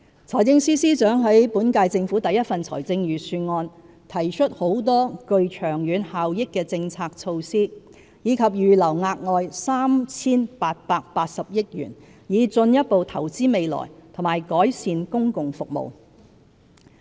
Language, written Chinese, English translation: Cantonese, 財政司司長在本屆政府的第一份財政預算案提出很多具長遠效益的政策措施，以及預留額外 3,880 億元以進一步投資未來和改善公共服務。, The Financial Secretary had introduced in the first Budget of the current - term Government a broad range of policy initiatives with long - term benefits and earmarked another 388 billion for further investment in the future and enhancing public services